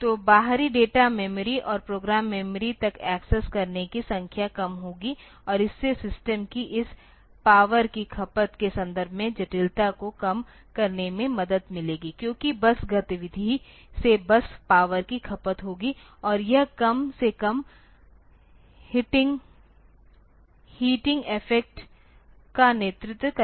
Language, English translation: Hindi, So, that a number of accesses to the outside data memory and program memory will be less and that will help in reducing the complexity in terms of this power consumption of that you of the system because bus activity will lead to bus power consumption and that will lead to at least the heating effect